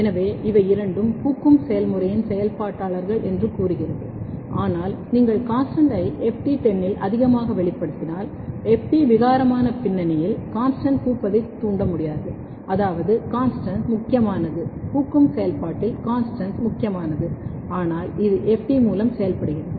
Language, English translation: Tamil, So, this tells that FT is activator of both are activators of the flowering, but what happens if you take CONSTANST over expression in the ft 10, ft mutant background the CONSTANST cannot induce the flowering which means that CONSTANST is important, CONSTANST is important in activating the flowering, but it is working through FT